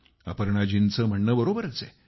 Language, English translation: Marathi, Aparna ji is right too